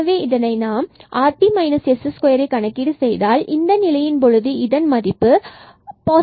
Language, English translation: Tamil, So, again this rt minus s square we have to compute and in this case, so rt here we get this positive again